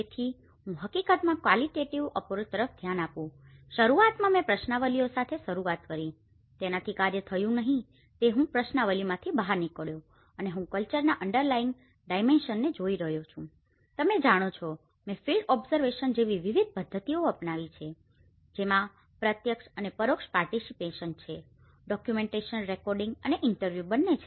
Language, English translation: Gujarati, So, I was looking at the qualitative approach in fact, initially I started with questionnaires somehow, it didn’t worked out so that is why I strike out from the questionnaires and I see that as I am looking at the underlying dimension of the cultures you know, I have to adopt different methods like field observation which has both direct and indirect participation, a documentation recording and the interview